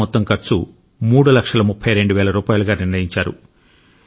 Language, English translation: Telugu, The total cost of the produce was fixed at approximately Rupees Three Lakh thirty two thousand